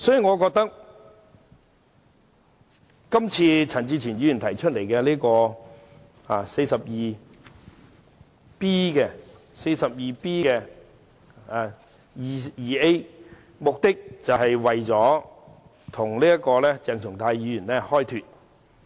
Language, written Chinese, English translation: Cantonese, 我覺得陳志全議員根據《議事規則》第 49B 條提出的議案，目的是為鄭松泰議員開脫。, I think Mr CHAN Chi - chuen seeks to absolve Dr CHENG Chung - tai of his blame by proposing the motion under Rule 49B2A of the Rules of Procedure